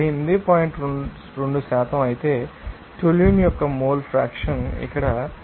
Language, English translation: Telugu, 2% whereas, mole fraction of toluene is coming here 41